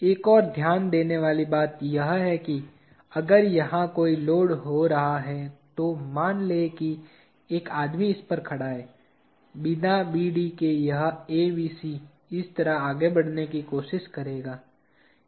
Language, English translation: Hindi, Another thing to note is if there is a load occurring here, let us say a man is standing on this, this ABC without BD will try to move like this